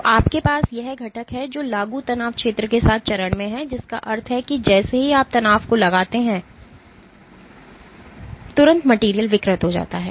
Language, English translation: Hindi, So, you have this component which is in phase with the applied strain field which means that as soon as you exert the strain immediately the material deforms